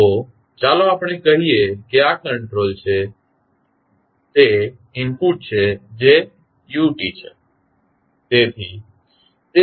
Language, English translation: Gujarati, So, let us say this is control is the input that is u t